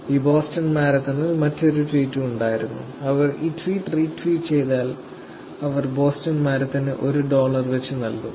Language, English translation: Malayalam, There was also another tweet during this Boston marathon said that, please RT this tweet, which is retweet this tweet, we will actually pay 1 dollars to Boston marathon